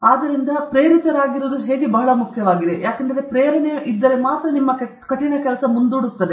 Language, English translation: Kannada, So, how to stay motivated is very, very important; motivation propels hard work